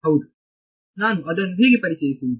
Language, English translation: Kannada, Yeah how do I introduce it